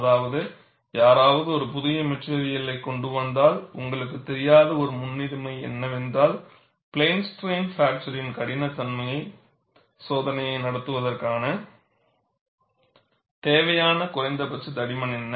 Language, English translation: Tamil, This is one of the important issues; that means, if somebody comes up with a new material, you will not know, what is the minimum thickness that is necessary for conducting a plane strain fracture toughness test